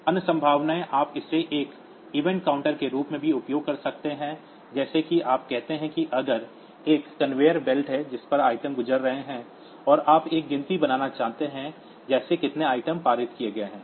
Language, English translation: Hindi, Other possibilities you can also use it as an event counter like you say if there is a conveyor belt onto which items are passing, and you want to make a count like how much how many items are passed